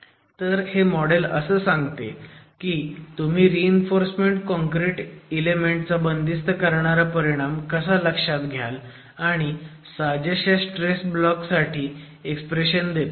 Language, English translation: Marathi, So, the model here talks about how you can actually take into account the confining effect of the reinforced concrete element and gives an expression for the equivalent ultimate stress block